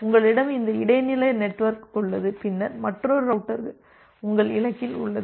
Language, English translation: Tamil, Then you have this intermediate network, then another router and then your destination which is there